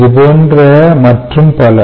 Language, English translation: Tamil, this is similar to that